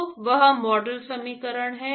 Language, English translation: Hindi, So, that is the model equation